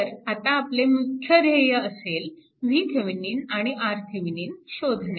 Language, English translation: Marathi, So, our major objective is now to find V Thevenin and R Thevenin; that is the that you have to obtain